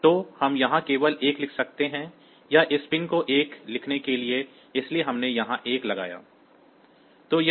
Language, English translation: Hindi, So, we can just we can write a 1 here; so, to write a 1 to this pin; so we put a 1 here